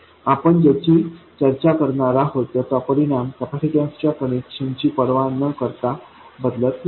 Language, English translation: Marathi, The result of what we are going to discuss doesn't change regardless of the connection of the capacitor